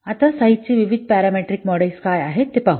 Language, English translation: Marathi, Now let's see what are the different parametric models for size